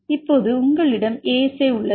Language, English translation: Tamil, Now you have the ASA